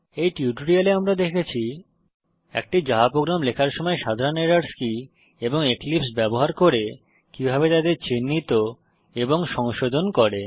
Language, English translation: Bengali, In this tutorial we have seen what are the typical errors while writing a Java program and how to identify them and rectify them using Eclipse